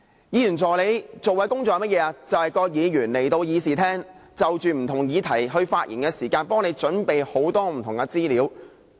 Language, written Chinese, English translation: Cantonese, 議員助理所做的工作是甚麼，就是議員在議事廳內就不同議題發言時，替議員準備很多不同的資料。, What are their duties? . They prepare information for Members to deliver their speeches on various issues in the Chamber . The personal assistants work is way more than the casual printing out of information